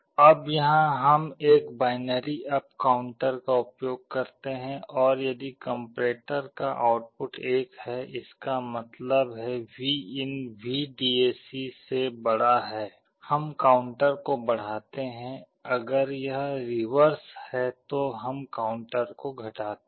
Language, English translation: Hindi, Now here we use a binary up down counter, and if the output of the comparator is 1; that means, Vin is greater than VDAC we increment the counter, if it is reverse we decrement the counter